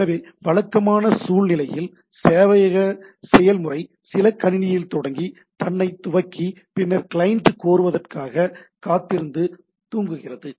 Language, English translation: Tamil, So, typical scenario the server process starts on some computer system, initialize itself and then goes to sleep waiting for the client to request, right